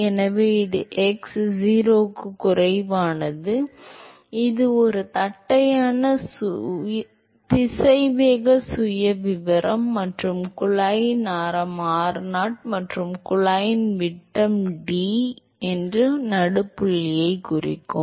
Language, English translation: Tamil, So, this is x less than 0, it is a flat velocity profile and if I mark the midpoint if the radius of the tube is r0 and the diameter of the tube D